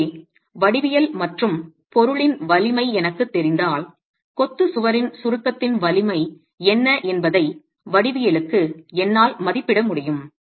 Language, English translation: Tamil, So if I were, if I know the geometry and the material strengths, can I for the geometry estimate what the strength in compression of the masonry wall is